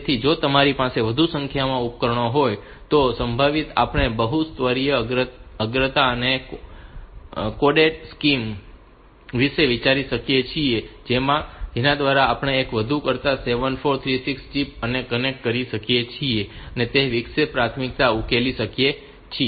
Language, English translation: Gujarati, So, if you have got more number of devices then possibly we can have we can think about a multi level priority and coded scheme by which we can connect more than one 74366 chips and resolve interrupt priorities that way